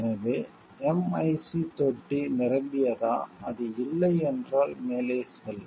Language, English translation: Tamil, So, is a MIC tank filled, if it is no go ahead, yes